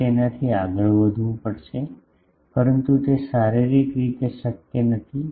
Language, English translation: Gujarati, You will have to go beyond that, but that is physically not possible